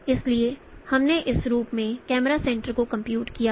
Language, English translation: Hindi, So, we have computed the camera center in this form